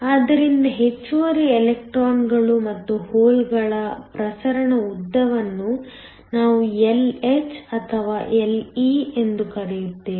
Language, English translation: Kannada, So, the diffusion length for the extra electrons and holes, we are going to call then Lh or Le